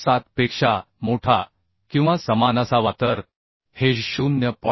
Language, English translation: Marathi, 7 so we are going to take 0